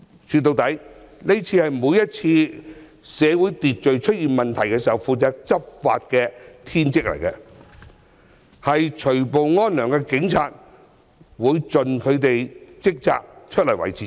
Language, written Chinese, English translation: Cantonese, 說到底，在社會秩序出現問題的時候，除暴安良是執法者的天職，警察會盡責地維持治安。, All in all when there is a problem with order in society law enforcement officers are duty - bound to stop disorder and restore peace . Thus the Police will dutifully maintain law and order